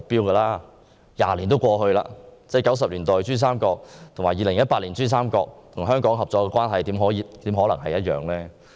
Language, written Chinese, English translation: Cantonese, 二十年過去了 ；1990 年代的珠三角和2018年的珠三角與香港的合作關係，怎可能一樣？, Two decades have passed how can the cooperation between PRD and Hong Kong in the 1990s be the same as that in 2018?